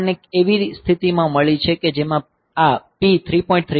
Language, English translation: Gujarati, So, we have got the situation like this that we have got this P 3